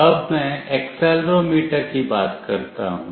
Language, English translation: Hindi, Let me talk about accelerometer